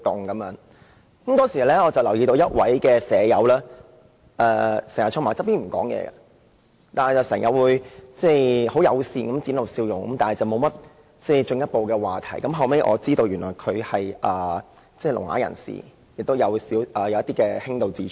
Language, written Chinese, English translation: Cantonese, 我當時留意到一位院友經常坐在一旁不說話，但不時友善地展露笑容，不過沒有進一步的話題，後來我得知他是聾啞人士，並有輕度智障。, At that time a resident caught my attention as he often sat silently on one side wearing an amiable smile every now and then . But I did not really have any conversation with him . Later I came to know that he was a deaf - mute person with mild intellectual disability